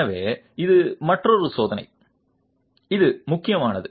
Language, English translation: Tamil, So, this is another check which becomes important